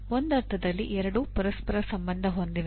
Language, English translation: Kannada, In some sense both are related to each other